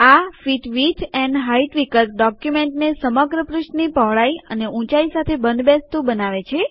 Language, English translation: Gujarati, The Fit width and height view fits the document across the entire width and height of the page